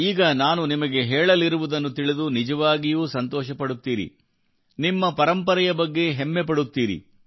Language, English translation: Kannada, What I am going to tell you now will make you really happy…you will be proud of our heritage